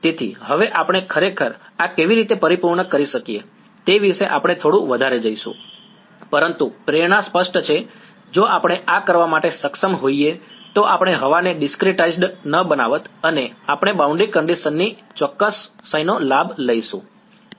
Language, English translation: Gujarati, So, now, we will go a little bit more into how can we actually accomplish this, but the motivation is clear, if we are somehow able to do this then we would have not discretized air and we would be taking advantage of exactness of boundary condition